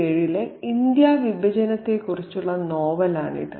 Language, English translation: Malayalam, This is a novel that was based on the partition of India in 1947